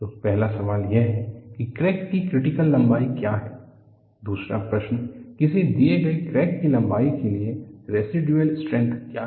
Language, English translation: Hindi, So, the first question is, what is the critical length of a crack the second question is for a given crack length, what is the residual strength